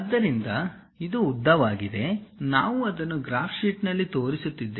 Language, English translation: Kannada, So, this is the length; what we are showing it on the graph sheet